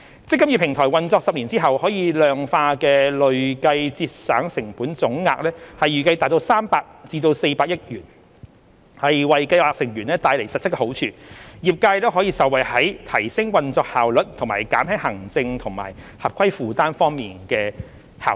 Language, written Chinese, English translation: Cantonese, "積金易"平台運作10年後可量化的累計節省成本總額預計達300億元至400億元，為計劃成員帶來實質好處，業界也可受惠於在提升運作效率及減輕行政和合規負擔方面的效益。, It is estimated that after the eMPF Platform has been operated for 10 years the total quantifiable cumulative cost savings will amount to 30 billion to 40 billion . This will bring tangible benefits to scheme members and benefit the industry in terms of enhanced operational efficiency and reduced administrative and compliance burden